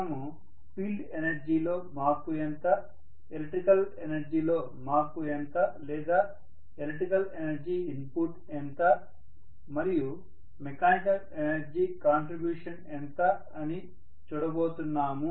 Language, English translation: Telugu, We are going to look at how much is the change in field energy, how much is the change in the electrical energy or how much is the electrical energy input, and how much is the mechanical energy contribution